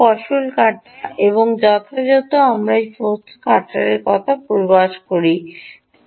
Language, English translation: Bengali, and, as usual, let us begin with the demonstration of this energy harvester